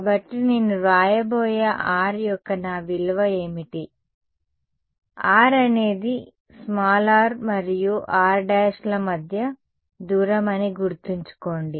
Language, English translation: Telugu, So, what is my value of R that I am going to write; so, R remember is the distance between r and r prime